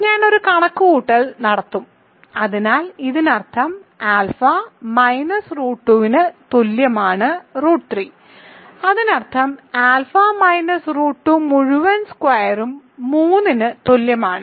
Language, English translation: Malayalam, So, I will just do a series of calculations, so this means alpha minus root 2 is equal to root 3, that means alpha minus root 2 whole squared equal to 3